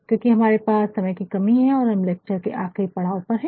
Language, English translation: Hindi, Since, we are having a paucity of time and we arein the last leg of this lecture